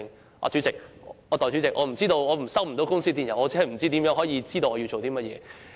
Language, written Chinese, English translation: Cantonese, 代理主席，如果接收不到公司電郵，怎能知道有何工作？, Deputy President how can we know what our tasks are when we do not have access to company emails?